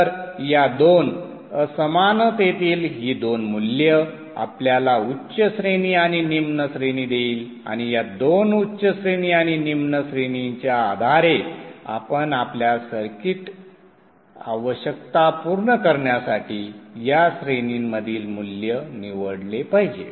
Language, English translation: Marathi, So these two values from these two inequalities will give you a higher range and lower range and based on these two higher range and lower range you should pick a value in between this range to satisfy your circuit requirements